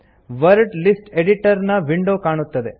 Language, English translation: Kannada, In the Word List Editor window, click NEW